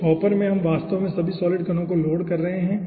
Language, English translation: Hindi, in this hopper we are actually load all the solid particles